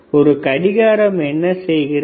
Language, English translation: Tamil, wWhat does a watch do